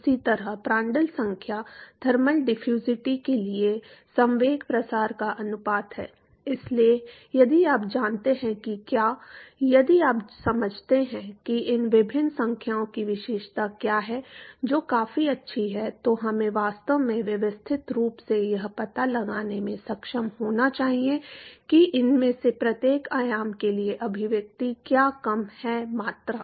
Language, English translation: Hindi, Similarly Prandtl number is the ratio of momentum diffusivity to thermal diffusivity So, if you know what, if you understand what these different numbers characterized that is good enough we should actually be able to systematically find out what is the expression for each of these dimension less quantity